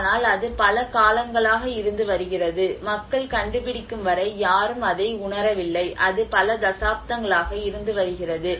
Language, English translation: Tamil, But then it has been there for ages and until people have discovered no one have realized it, and it has been there since many decades